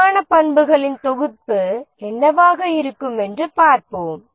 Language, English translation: Tamil, Let's look at what can be the set of quality attributes